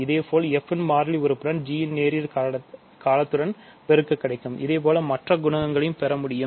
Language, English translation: Tamil, Similarly, I can multiply the constant term of f with linear term of g, so and so on